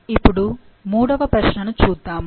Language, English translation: Telugu, Now, let's look into the third question